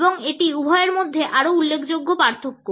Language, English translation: Bengali, And this is by far the more significant difference between the two